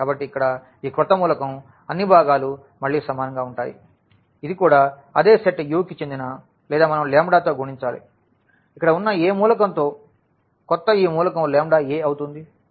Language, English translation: Telugu, So, this new element here all the components are equal again this will also belong to the same set U or we multiply by the lambda to any element here, the new element will be also lambda a, lambda a